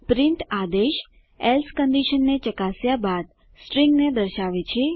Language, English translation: Gujarati, print command displays the string after checking the else condition